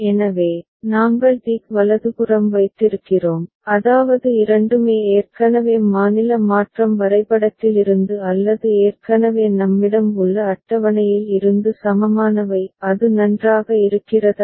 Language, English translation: Tamil, So, we have put tick right that means, both are already equivalent from the state transition diagram or the table that we already have with us; is it fine